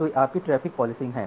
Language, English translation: Hindi, So, this is your traffic policing